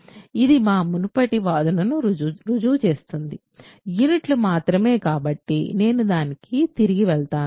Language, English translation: Telugu, So, this proves our earlier claim, that the only units so, I will go back to that